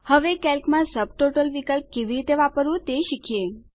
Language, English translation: Gujarati, Now, lets learn how how to use the Subtotal option in Calc